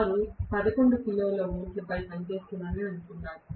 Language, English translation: Telugu, Let me assume that they are working on 11 kilo volt